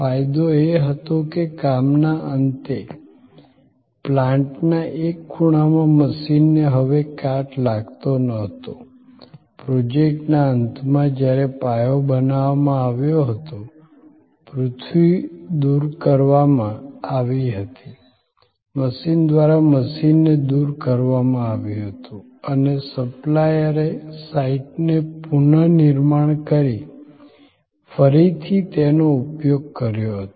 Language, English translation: Gujarati, The advantage was that at the end of the job, the machine was no longer rusting away at one corner of the plant, at the end of the project, when the foundation was created, earth was removed, the machine was taken away by the machine supplier was reconditioned, was remanufactured and was reused that another site